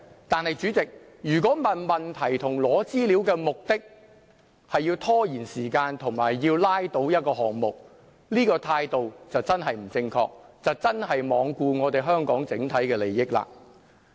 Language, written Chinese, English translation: Cantonese, 但是，主席，如果提出問題及索取資料的目的，是要拖延時間及要拉倒一個項目，這個態度便真的不正確，真的是罔顧香港的整體利益。, Nevertheless President if the purpose of raising questions and soliciting information is to prolong the procedure and vote down a motion this attitude will really be improper and regardless of the overall interests of Hong Kong